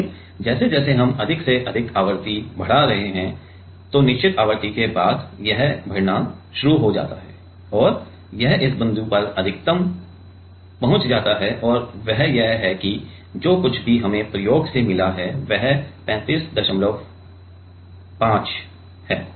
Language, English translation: Hindi, But, as we are increasing more and more the frequency the at certain after certain frequency it starts increasing and it reaches a maximum at this point and that is that 35